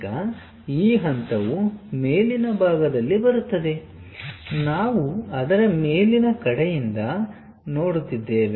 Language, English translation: Kannada, Now this point comes at top side of the we are looking from top side of that